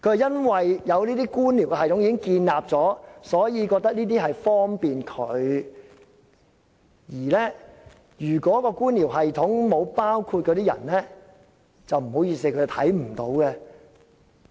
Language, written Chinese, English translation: Cantonese, 因為這些官僚系統已經建立，所以他覺得這些安排很方便，而在官僚系統中並沒有包括的人，他便看不到。, Given that this bureaucratic system is already established he finds that these arrangements are very convenient . But he fails to see those who are not included under this bureaucratic system